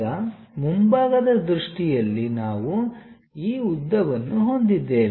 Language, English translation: Kannada, Now in the front view we have this length A W